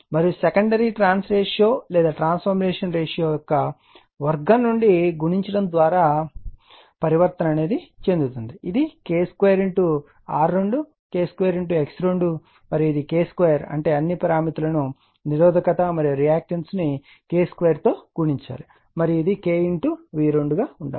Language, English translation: Telugu, And secondary side you have transform by multiplying your what you call just square of the trans ratio or transformation ratio that is K square R 2, K square X 2 and this is K square all that means, all the parameters resistance and reactance you have to multiply by K square and this should be K V 2